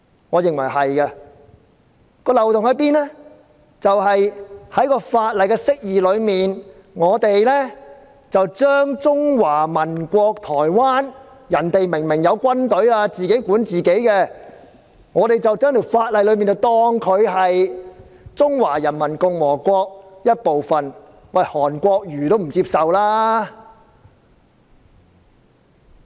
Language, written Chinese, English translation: Cantonese, 我認為是的，漏洞在於該法例的釋義，將中華民國——他們明明有自己的軍隊，並自行管理本身的事務——當成中華人民共和國的一部分，連韓國瑜也不接受。, The loophole lies with the Interpretation in the Ordinance which considers the Republic of China or Taiwan which has its own military force and government that governs its own affairs as part of the Peoples Republic of China which is unacceptable even to HAN Kuo - yu